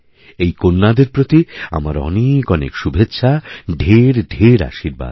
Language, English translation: Bengali, My best wishes and blessings to these daughters